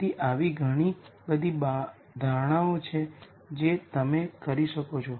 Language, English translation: Gujarati, So, there are many types of assumptions that you can make